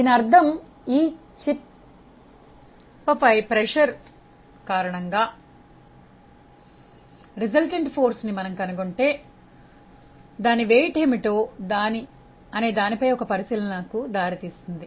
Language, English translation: Telugu, That means, if we find out what is the resultant force due to pressure on this chip that will give us an insight on what is the weight